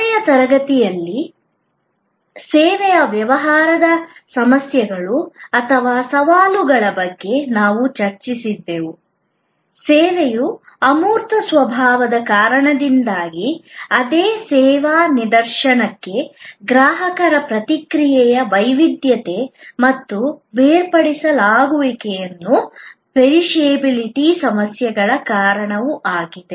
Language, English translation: Kannada, In the last session, we were discussing about the problems or challenges post by the service business, because of the intangible nature of service, because of the heterogeneity of consumer reaction to the same service instance and the inseparability and perishability issues